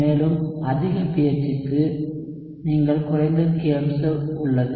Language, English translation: Tamil, And for higher pH you a lower kobserved